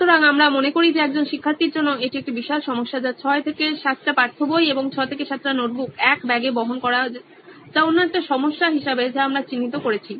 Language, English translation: Bengali, So we feel that is a huge problem there for a student who is carrying like 6 to 7 text books plus 6 to 7 notebooks in one bag that’s another problem we have identified